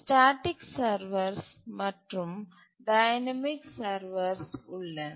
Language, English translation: Tamil, There are static servers and dynamic servers